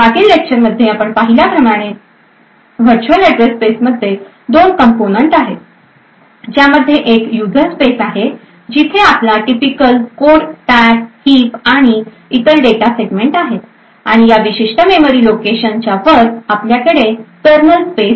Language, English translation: Marathi, So the virtual address space as we have seen in the previous lectures comprises of two components, so it comprises of a user space where your typical code stack heap and other data segments are present and above a particular memory location you have the kernel space